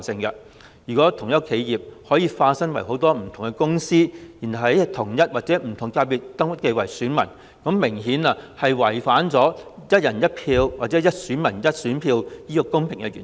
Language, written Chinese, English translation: Cantonese, 如果同一間企業可以化身為多間不同的公司，然後再在同一或不同界別登記為選民，明顯就是違反了"一人一票"或"一選民一選票"的公平原則。, If an enterprise sets up different companies and registers as an elector in an FC or different FCs the fair principle of one person one vote or one elector one vote is definitely violated . Let me cite another example